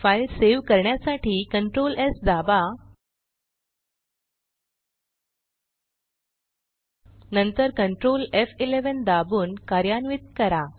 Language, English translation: Marathi, Now save this file ,press Ctrl S key simultaneously then press Ctrl F11 to run the program